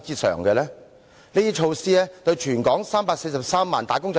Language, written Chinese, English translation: Cantonese, 怎樣還富於全港343萬名"打工仔"呢？, How will they return wealth to the 3.43 million wage earners of Hong Kong?